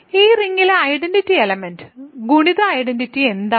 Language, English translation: Malayalam, So, what is the identity element multiplicative identity in this ring